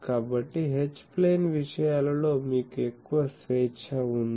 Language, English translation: Telugu, So, you have more liberty in the H plane things ok